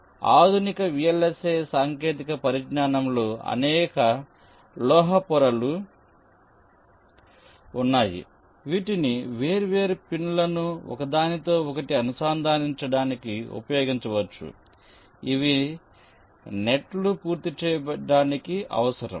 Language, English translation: Telugu, so so in the modern day vlsi technology, there are several metal layers which can be used for interconnecting different pins which are required to complete the nets